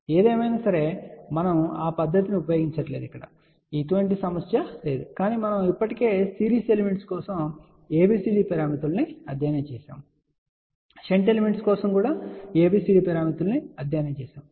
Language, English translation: Telugu, However, we are not going to use that technique that can be done there is no problem at all, but since we have already studied ABCD parameters for series elements we have also studied ABCD parameters for shunt element